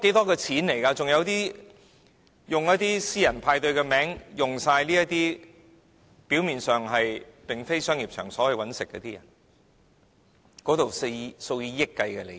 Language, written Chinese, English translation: Cantonese, 還有以私人派對的名義，表面上不是商業場所謀生的人，當中涉及數以億元計的利益。, Besides some people will do the selling in the name of a private party . On the surface it has nothing to do with people who are making a living on commercial premises but hundreds of millions dollar businesses are involved